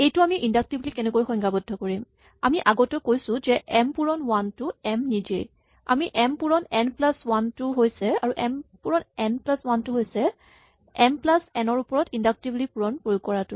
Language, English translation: Assamese, So, how do we define this inductively well we say that m times 1 is just m itself and m times n plus 1 is m plus inductively applying multiplication to n